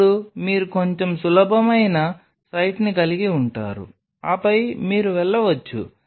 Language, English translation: Telugu, Then you have on a slightly easier site then you can go for